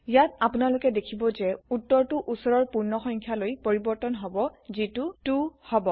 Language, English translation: Assamese, Here you can see the result is truncated to the nearest whole number which is 2